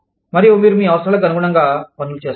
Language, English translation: Telugu, And, you do things, according to your needs